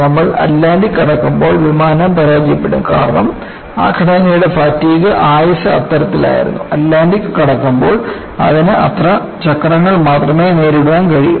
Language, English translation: Malayalam, By the time you cross once the Atlantic, the plane will fail because a fatigue life of that structure was such, it could with stand only so many cycles as it passes through Atlantic